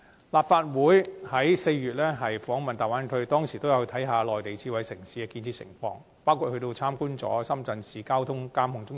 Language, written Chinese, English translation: Cantonese, 立法會在4月訪問粵港澳大灣區，當時也有參觀內地智慧城市的建設，包括參觀深圳市交警智能交通指揮中心。, In the visit to the Guangdong - Hong Kong - Macao Bay Area conducted by the Legislative Council in April we had the opportunity to tour some smart city infrastructure including the Command and Control Centre of the Shenzhen Traffic Police Headquarters